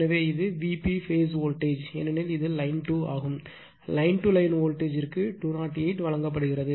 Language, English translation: Tamil, So, that is your V P phase voltage because it is line 2 , is your what you call that, your line to Line voltage is given, 208